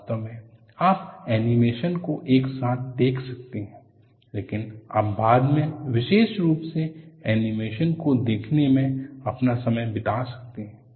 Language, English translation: Hindi, In fact, you could look at the animation simultaneously, but you would also spend time and looking at the animation exclusively later